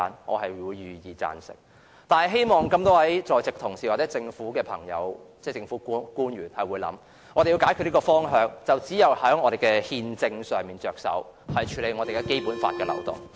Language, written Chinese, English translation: Cantonese, 我願意贊成，但希望在席同事和政府官員多加考慮，解決房屋問題只有從憲政上着手，必須處理《基本法》的漏洞。, I am ready to support the motion but I hope that the Members and government officials present can give more thought to resolving the housing problem constitutionally by plugging the loophole of the Basic Law